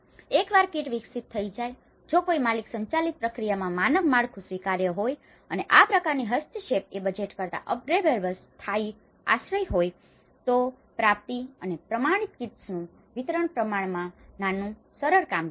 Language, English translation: Gujarati, Once a kit is developed, if a standard structure is acceptable in a owner driven process and this kind of intervention is upgradeable temporary shelter than budgeting, procurement and distribution of standardized kits is a relatively small, simple operation